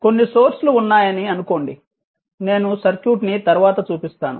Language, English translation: Telugu, You assume that there are some sources circuit I will show you later